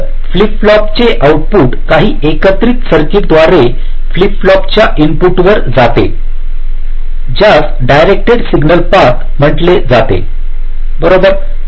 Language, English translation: Marathi, the output of a flip flop is going to the input of a flip flop via some combinational circuit